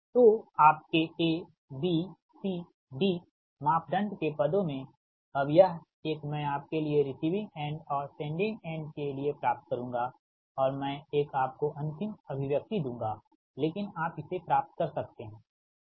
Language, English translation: Hindi, so in terms of youre a, b, c, d parameter, so this one, i will get it for you for the receiving end one and sending one, i will give you the, your final expression